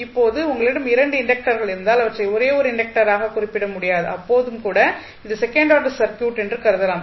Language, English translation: Tamil, Now, if you have a 2 inductors and you cannot simplify this circuit and represent as a single inductor then also it can be considered as a second order circuit